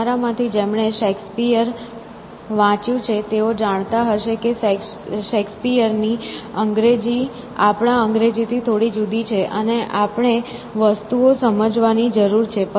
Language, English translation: Gujarati, So, those of you who have read Shakespeare for example, would know that Shakespeare‟s English is a little bit different from our's English, and our English, and we need to understand things essentially